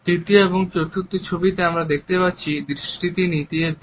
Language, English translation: Bengali, The third and the fourth photographs depict the gaze which is downwards